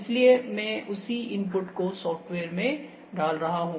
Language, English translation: Hindi, So, I am putting the same a input in the software